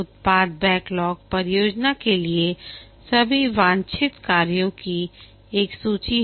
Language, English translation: Hindi, The product backlog is a list of all the desired work for the project